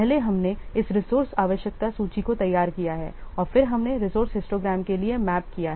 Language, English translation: Hindi, First we have prepared this resource requirement list and then we have mapped to a resource histogram